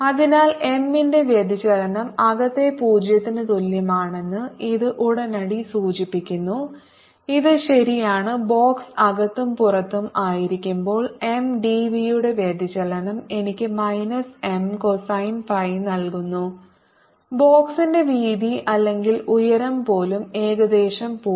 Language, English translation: Malayalam, so this immediately implies that divergence of m is equal to zero for inside, which is true, and when the box is inside and outside, divergence of m d v gives me minus m cosine phi, even when the width or the height of the box is nearly zero